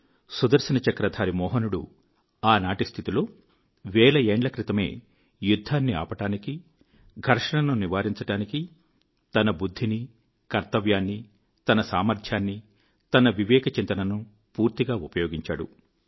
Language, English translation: Telugu, Sudarshan Chakra bearing Mohan, thousands of years ago, had amply used his wisdom, his sense of duty, his might, his worldview to avert war, to prevent conflict, a sign of the times then